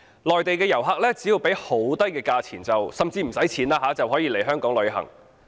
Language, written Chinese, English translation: Cantonese, 內地遊客只需支付低廉的價錢甚至免費，就可以來港旅行。, Mainland tourists could visit Hong Kong by paying a small amount of money or even no money at all